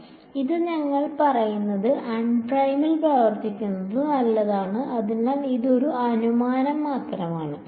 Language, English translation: Malayalam, So, this we will say only acts on unprimed that is fine, so that is just a assumption